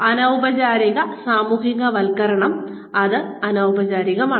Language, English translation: Malayalam, Informal socialization, that is informal